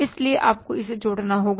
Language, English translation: Hindi, So you have to add this up